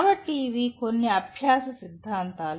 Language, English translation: Telugu, So these are some of the learning theories